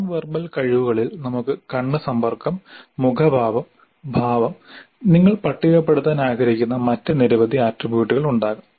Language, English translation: Malayalam, So, in non verbal skills we could have eye contact, facial expressions, posture, there could be several other attributes that you wish to list